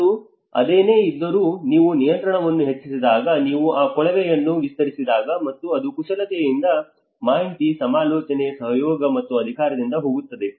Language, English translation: Kannada, And whereas, when you talk about when you increase at control, when you widen that funnel, and that is where it goes from manipulate, inform, consult, collaborate and empower